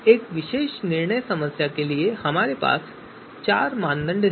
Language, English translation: Hindi, So we have four criteria for this particular decision problem